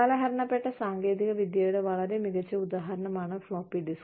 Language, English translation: Malayalam, And a very classic example of an outdated technology is the floppy disk